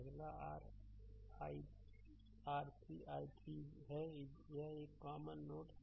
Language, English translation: Hindi, Next is your i 3 i 3 is equal to this is a common node